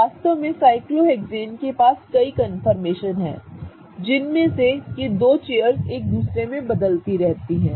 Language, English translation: Hindi, In fact, what cyclohexane does is it has number of confirmations and in which you have these two chairs kind of interconverting between each other